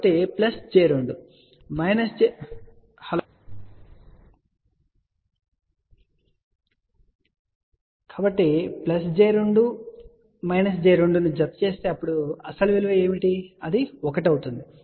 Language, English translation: Telugu, So, plus j 2 if we add minus j 2, then what will be the actual value, that will be 1